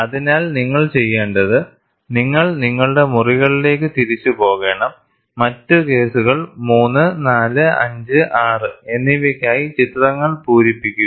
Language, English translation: Malayalam, So, what you should do is, you should go back to your rooms, fill in the pictures for the other cases 3, 4, 5, 6